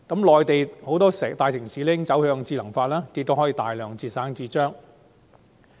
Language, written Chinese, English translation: Cantonese, 內地很多大城市已經走向智能化，以節省大量紙張。, Many major cities in the Mainland are moving towards intelligent processes to save vast amounts of paper